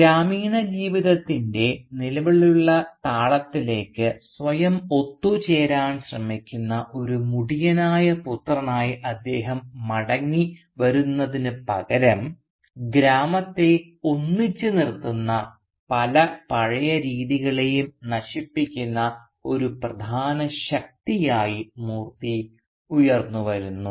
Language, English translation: Malayalam, And rather than he returning as a prodigal son who tries to assimilate himself into the existing rhythm of the village life, Moorthy emerges as a major force which destroys many of the age old practices that held the village together